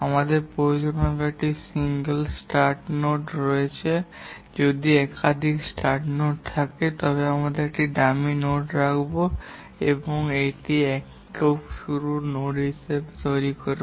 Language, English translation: Bengali, If we find that there are multiple finish nodes, we will put a dummy node and we will make it a single finish node